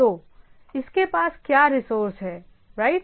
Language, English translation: Hindi, So, what are the resources it is having right